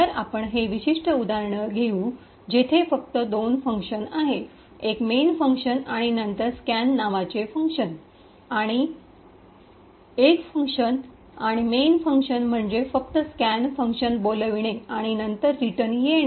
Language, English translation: Marathi, So, we will take this particular example where there are just two functions one the main function and then another function called scan and the main function is just invoking scan and then returning